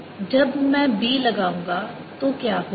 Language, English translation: Hindi, now what will happen when i apply b